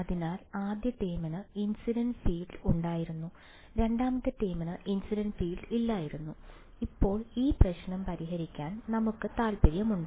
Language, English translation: Malayalam, So, the first term had the incident field, the second term had no incident field and we are interested in solving this problem now